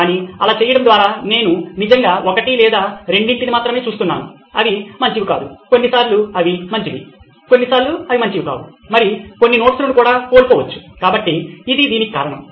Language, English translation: Telugu, B ut, by doing that I am actually only looking at one or two which may not be good, sometimes they are good, sometimes they are not, and may have missed a few notes as well, so this is the rationale in this